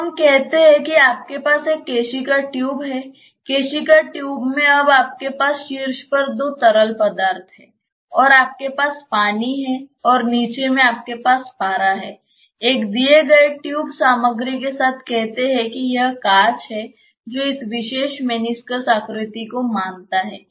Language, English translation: Hindi, in the capillary tube now you have say two liquids on the top you have say water and in the bottom say you have mercury; with a given tube materials say it is glass it assumes this particular meniscus shape